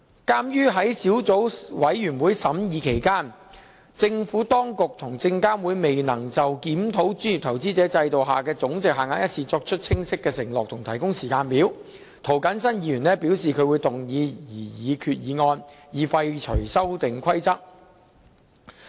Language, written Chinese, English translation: Cantonese, 鑒於在小組委員會審議期間，政府當局及證監會未能就檢討專業投資者制度下的總值限額一事作出清晰承諾及提供時間表，涂謹申議員表示他會動議擬議決議案，以廢除《修訂規則》。, In view of the lack of a clear commitment from the Administration and SFC to conduct a review on the monetary thresholds adopted under the professional investor regime and provide a timetable Mr James TO has indicated that he will give notice to move a motion to repeal the Amendment Rules